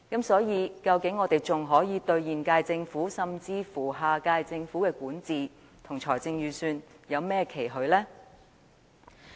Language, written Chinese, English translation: Cantonese, 所以，我們對現屆政府，甚至下屆政府的管治和財政預算，究竟還能有甚麼期許？, For this reason can we still have any expectations on governance and the Budget presented by the current - term Government or even the next - term Government?